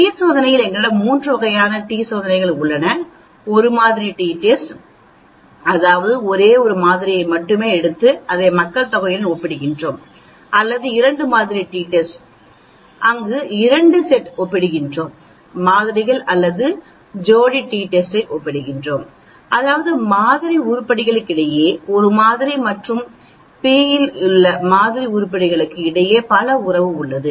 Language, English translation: Tamil, In the t test we have 3 types of t test, one sample t test that means, I take only 1 sample and then compare it with the population or I can have a two sample t test, where I am comparing 2 sets of samples or I may be comparing paired t test that means, there is a relationship between the sample items with a and sample items in b